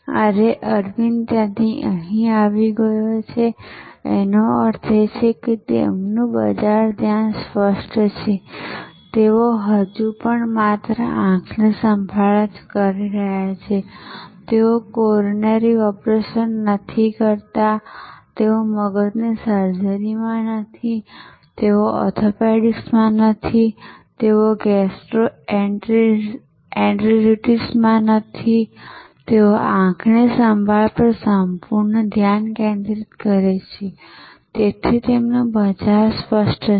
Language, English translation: Gujarati, Today, Aravind has moved from there to here; that means, their market focus is clear they are still doing eye care only, they are not into coronary operations, they are not into brains surgery, they are not into orthopedics, they are not into gastroenteritis they are fully focused on eye care, so their market is clear